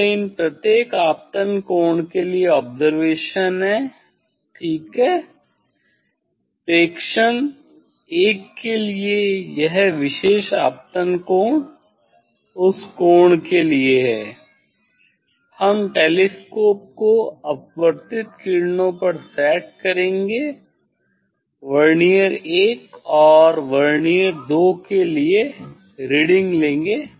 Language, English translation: Hindi, this is for this each observation is for each incident angle ok, for observation 1 this for a particular incident angle for that angle; for that angle we will set the telescope at the refracted rays, take the reading for Vernier I and Vernier II